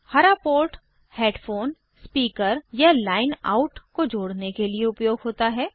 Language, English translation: Hindi, The port in green is for connecting headphone/speaker or line out